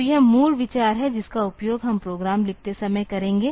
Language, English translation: Hindi, So, this is the basic idea that we will be using while writing the program